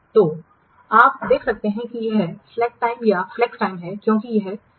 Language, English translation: Hindi, So, you can see this is the slack time or the flex time because this time is free